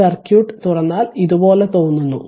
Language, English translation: Malayalam, So, circuit looks like this if you open it